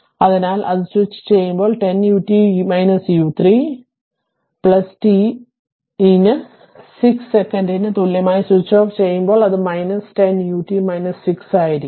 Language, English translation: Malayalam, So, at the time of switching on it will be 10 u t minus u 3 right, plus and at the time of switching off at t equal to 6 second it will be minus 10 u t minus 6